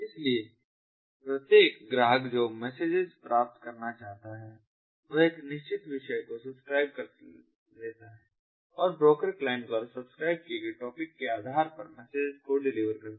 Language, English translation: Hindi, so each client that wants to receive the messages subscribes to a certain topic and the broker delivers all the messages with in the matching topic in the client to the client